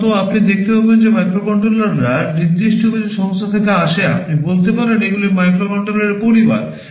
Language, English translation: Bengali, Typically you will find that microcontrollers come from certain companies; you can say these are family of microcontrollers